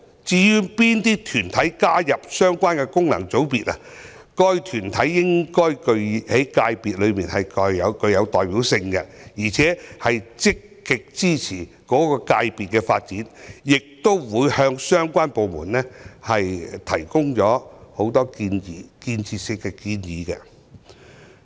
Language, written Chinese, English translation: Cantonese, 至於哪些團體加入相關功能界別的問題，該團體應在界別具有代表性，並且積極支持該界別的發展，亦會向相關部門多提建設性建議。, As regards which body can be included in the relevant FC the body should be a representative one active in supporting the development of the sector concerned and should also actively put forward constructive proposals to the government departments concerned